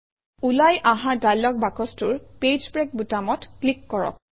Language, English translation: Assamese, In the dialog box which appears, click on the Page break button